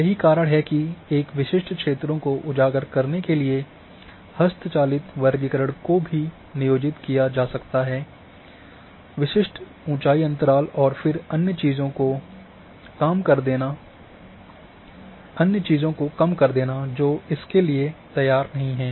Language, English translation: Hindi, That is why manual classification can also be employed to highlight a specific areas a specific elevations range and then de emphasize the others which are not ready useful in that sense